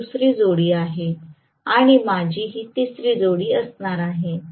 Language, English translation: Marathi, This is the second pair and I am going to have the third pair like this right